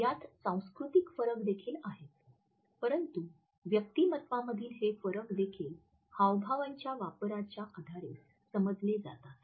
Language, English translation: Marathi, The cultural differences are also there, but these differences in the personalities are also understood on the basis of the use of illustrators